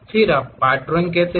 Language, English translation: Hindi, Then, you call part drawing